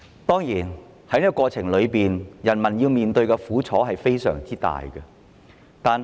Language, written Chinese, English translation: Cantonese, 當然，在過程中，人民要面對非常大的苦楚。, Certainly during the process the people will endure immense suffering